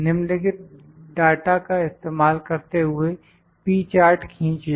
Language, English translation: Hindi, Using the following data, draw it is P Chart